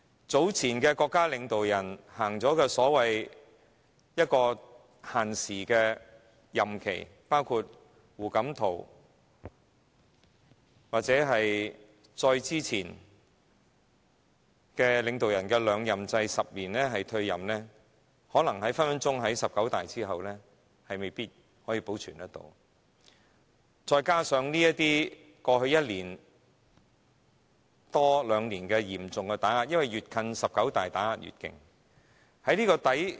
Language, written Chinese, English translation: Cantonese, 早前的國家領導人實行有時限的任期，包括胡錦濤或再之前的領導人的兩任制，這個制度可能隨時在"十九大"之後未必能保存下去，再加上過去一年多兩年來嚴重打壓的緣故——越接近"十九大"，打壓便越嚴厲。, It is likely that the system of limited tenure of office for state leaders previously implemented in China including the two - term limit on President HU Jintao and his predecessors will no longer exist after the conclusion of the 19 National Congress of the Communist Party of China NCCPC . Besides government suppression has been severe and the situation is getting tougher when the 19 NCCPC is approaching